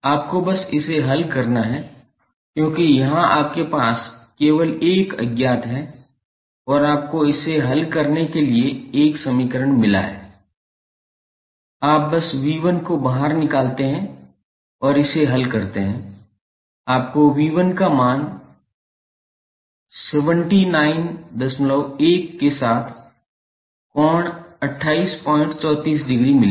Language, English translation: Hindi, You have to just simply solve it because here you have only 1 unknown and you have got one equation to solve it, you simply take V 1 out and solve it you will get the value of V 1 as 79